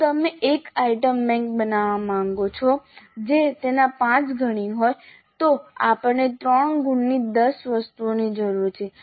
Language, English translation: Gujarati, So if you want to create an item bank which is five times that then we need 10 items of three marks each